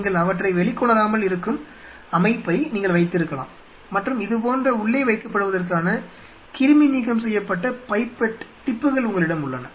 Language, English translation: Tamil, You know you can have system where you are not exposing them out and you have a sterilized pipette tips, which are kept inside something like this